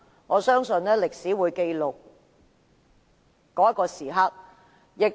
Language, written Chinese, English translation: Cantonese, 我相信，歷史自會記錄今天投票的一刻。, I believe the very moment of todays voting will be recorded in history